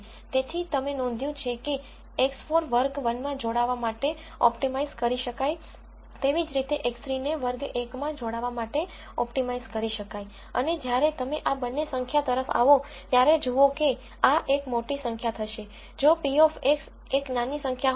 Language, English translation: Gujarati, So, you notice that X 4 would be optimized to belong in class 1Similarly X 3 would be optimized to belong in class 1 and when you come to these two numbers, you would see that this would be a large number if p of X 1 is a small number